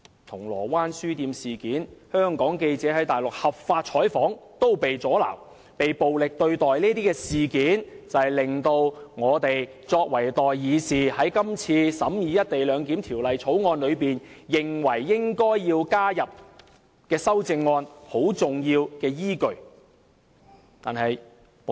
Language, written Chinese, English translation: Cantonese, 銅鑼灣書店事件、香港記者在內地合法採訪被阻撓和暴力對待的事件，就是令我們作為代議士，認為應該在今次審議《條例草案》時提出修正案的重要依據。, The incident on a bookstore in Causeway Bay as well as the violent obstruction of the lawful news coverage of Hong Kong reporters in the Mainland are the major reasons prompting us as elected representatives in the Legislative Council to propose these amendments during our deliberation of the Bill